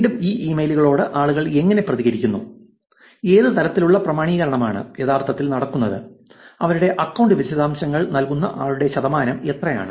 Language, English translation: Malayalam, Again success rate, how people react to these emails what level of authentication, what is the percentage of people who are actually giving their account details, is what they show in this graph